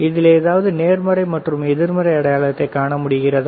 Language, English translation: Tamil, Can you see any positive negative sign